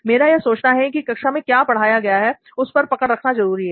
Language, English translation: Hindi, Because I think that it is important to get a track of things like what has been taught in the class